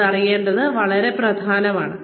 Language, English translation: Malayalam, Very important to know this